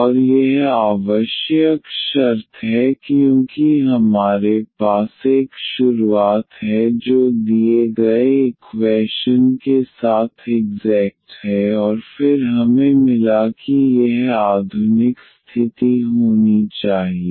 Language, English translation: Hindi, And this is the necessary condition because we have a started with that the given equation is exact and then we got that this mod condition must hold